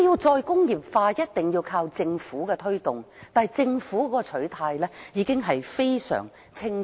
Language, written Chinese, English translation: Cantonese, "再工業化"必須靠政府推動，但政府的取態已非常清楚。, While re - industrialization has to rely on government promotion the Government has made its position very clear